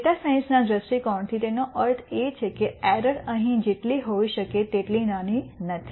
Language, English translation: Gujarati, From a data science viewpoint what it means is that the error is not as small as it could be here